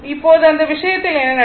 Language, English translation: Tamil, So, now, in that case what will happen